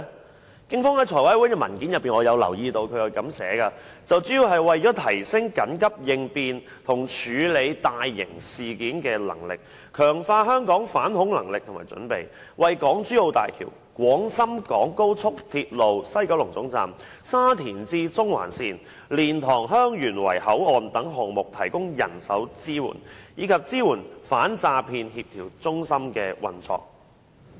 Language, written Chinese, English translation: Cantonese, 我從警方向立法會財務委員會提交的文件留意到，原因主要是為了提升緊急應變及處理大型事件的能力，強化香港的反恐能力和準備，為港珠澳大橋、廣深港高速鐵路西九龍總站、沙田至中環線、蓮塘/香園圍口岸等項目提供人手支援，以及支援反詐騙協調中心的運作。, From the paper submitted by the Police Force to the Finance Committee I notice that the reasons are mainly for enhancing the capability of emergency response and handling major incidents strengthening Hong Kongs counter - terrorism capability and preparedness providing manpower support to projects such as the Hong Kong - Zhuhai - Macao Bridge Guangzhou - Shenzhen - Hong Kong Express Rail Link Sha Tin to Central link and LiantangHeung Yuen Wai Boundary Control Point as well as supporting the operation of the Anti - Deception Coordination Centre